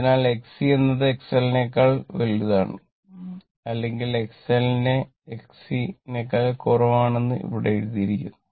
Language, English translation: Malayalam, So, here it is written X L X L your X C greater than X L or X L less than X C